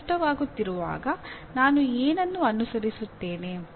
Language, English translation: Kannada, When I am having difficulty what is it that I follow